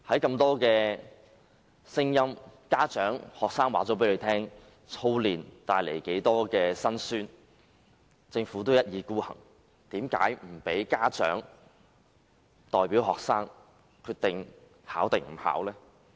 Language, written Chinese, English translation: Cantonese, 眾多家長和學生已表達過操練帶來的辛酸，政府卻一意孤行，拒絕由家長代表學生決定是否參加考試。, Many parents and students have expressed the misery of excessive drilling but the Government was obstinate and refused to allow parents to decide whether their children will take part in the assessment